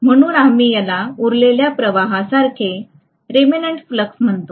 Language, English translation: Marathi, So we call this as the remnant flux